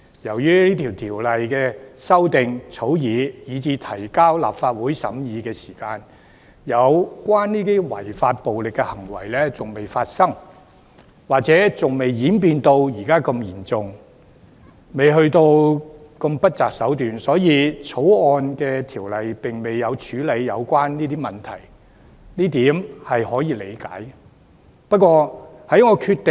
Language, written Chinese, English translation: Cantonese, 由於草擬《條例草案》以至提交立法會審議之時，有關的違法暴力行為仍未發生，或者尚未演變成如此嚴重，未至於不擇手段，因此《條例草案》的條文並未處理有關問題，這是可以理解的。, It is understandable that the provisions in the Bill have not dealt with the relevant issues since when the Bill was drafted and presented to the Legislative Council for scrutiny the relevant unlawful violent acts had not yet taken place or had not escalated to such a serious level in that people were less unscrupulous